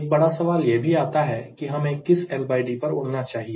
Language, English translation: Hindi, and the major question also comes at what l by d should i fly